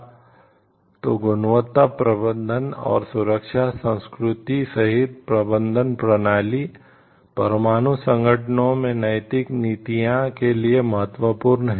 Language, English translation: Hindi, So, the management system including quality management and safety culture is very important with respect to ethical policies in nuclear organizations